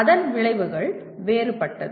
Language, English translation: Tamil, The consequence are different